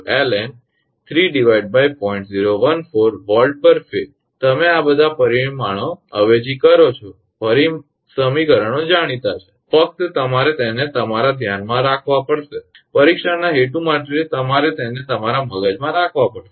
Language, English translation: Gujarati, 044 volt per phase you substitute all the parameters equations are known just you have to keep it in your mind for the exam purpose you have to keep it in your mind Therefore, V 0 actually 124